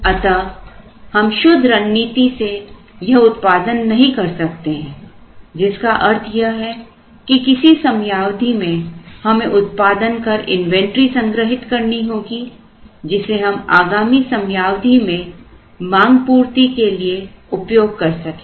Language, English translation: Hindi, So, we cannot follow the pure strategy, it also means that somewhere we have to produce store the inventory and then use it for subsequent periods so that we can meet the demand of the subsequent periods